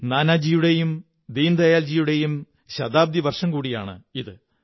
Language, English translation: Malayalam, This is the centenary year of Nanaji and Deen Dayal ji